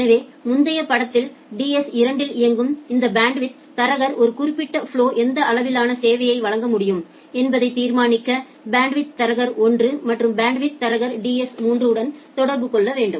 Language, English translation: Tamil, So, here in the earlier picture this bandwidth broker running at the DS 2 it need to communicate with the bandwidth broker DS 1 and bandwidth broker DS 3, to determine that what level of quality of service can be given to a particular flow